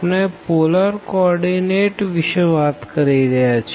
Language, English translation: Gujarati, So, we are talking about the polar coordinate